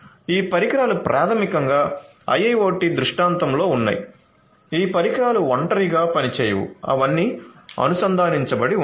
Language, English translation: Telugu, So, these devices are basically in and in an IIoT scenario these devices do not work in isolation they are all connected